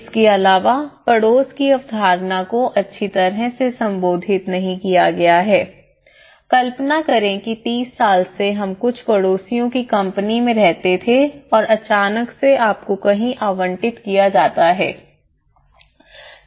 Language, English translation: Hindi, Also, the neighbourhood concept is not well addressed because imagine 30 years we lived in a company of some of your neighbours and suddenly you are allocated somewhere